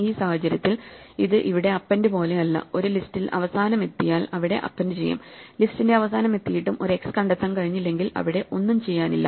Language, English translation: Malayalam, In this case it is not like append where when we reached the end of the list we have to append here, if we do not find a next by the time we reach the end of the list, then thereÕs nothing to be done